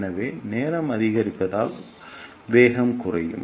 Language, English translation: Tamil, So, since the time is increased so velocity will decrease